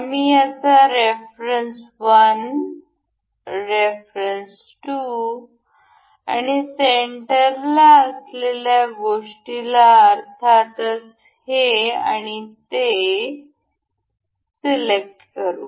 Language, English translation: Marathi, We will select its reference 1 reference 2 and the item that has to be in the center say this one and this